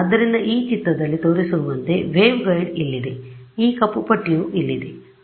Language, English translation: Kannada, So, a waveguide as shown in this figure over here is this black strip over here